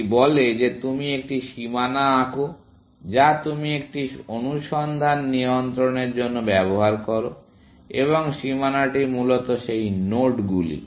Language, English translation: Bengali, It says that you draw a boundary, which you use for controlling a search, and the boundary is essentially, those nodes